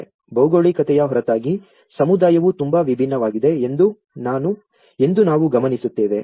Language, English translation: Kannada, Apart from geography, we also notice that community is also very different